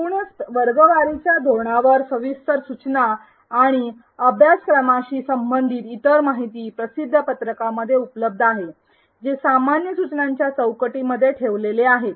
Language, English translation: Marathi, Detailed instructions on the overall grading policy and other information related to the course, is available in the course handout which has been placed in the unit named general instructions